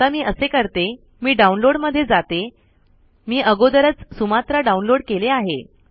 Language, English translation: Marathi, Let me do that now.Okay let me go to downloads, I have already downloaded Sumatra